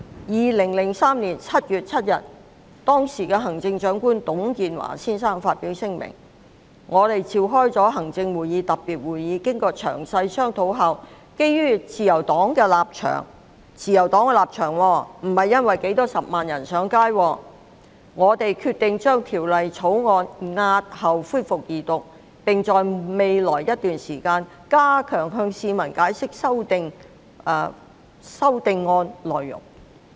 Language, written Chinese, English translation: Cantonese, 2003年7月7日，時任行政長官董建華先生發表聲明，表示已召開行政會議特別會議，"經過詳細商討後，基於自由黨的立場，"——是基於自由黨的立場，而非數十萬人上街——"我們決定將條例草案押後恢復二讀，並在未來一段時間加強向市民解釋修訂案內容"。, On 7 July 2003 the then Chief Executive Mr TUNG Chee - hwa issued a statement saying that a special meeting of the Executive Council had been convened and that in light of the position of the Liberal Party―it was due to the position of the Liberal Party not the march of hundreds of thousands―we have decided after detailed deliberations to defer the resumption of the second reading of the Bill and to step up our efforts to explain the amendments to the community in the coming days